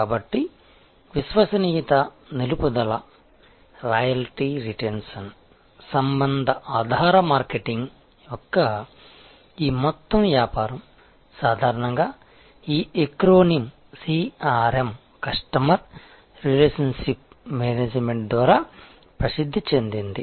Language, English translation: Telugu, So, this whole business of a loyalty retention relationship based marketing is generally famous by this acronym CRM Customer Relationship Management